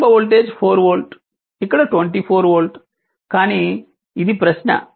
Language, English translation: Telugu, Initial voltage 4 volt here 24 volt, but this is a question to you right